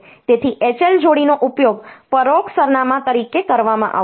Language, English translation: Gujarati, So, H L pair will be used as the indirect address